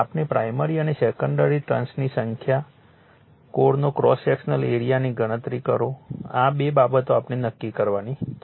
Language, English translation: Gujarati, Calculate the number of primary and secondary turns, cross sectional area of the core, right this two things we have to determine